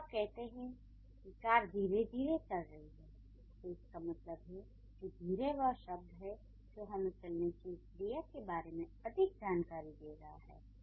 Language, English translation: Hindi, When you say the car is running slowly, so that means slowly is the word that's giving us more information about the verb running